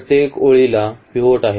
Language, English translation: Marathi, The first column has a pivot